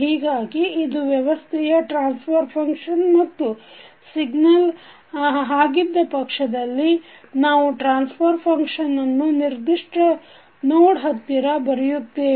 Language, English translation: Kannada, So this is a transfer function of the system and in case of signal we write the transfer function near to that particular node